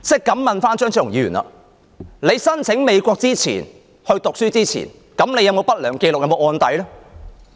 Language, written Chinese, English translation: Cantonese, 敢問張超雄議員，你申請到美國讀書前，有否不良紀錄或案底呢？, Dr Fernando CHEUNG may I ask you whether you had any adverse record or criminal record before you applied for studying in the United States?